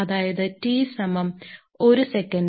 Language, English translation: Malayalam, So, this T is equal to 1 second